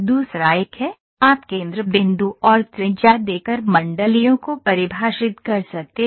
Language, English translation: Hindi, The other one is, you can define circles by giving centre point and radius